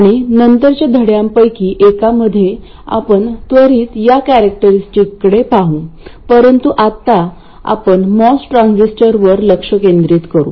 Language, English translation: Marathi, In one of the later lessons we will quickly look at those characteristics but now we will concentrate on the MOS transistor